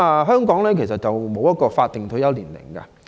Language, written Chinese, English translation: Cantonese, 香港並無法定退休年齡。, In Hong Kong there is no statutory retirement age